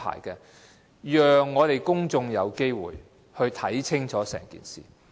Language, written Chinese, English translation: Cantonese, 政府必須讓公眾有機會看清楚整件事情。, It is necessary for the Government to give the public an opportunity to find out all the details